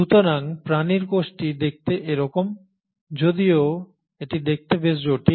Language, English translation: Bengali, So this is how the animal cell look like, so though it looks fairly complex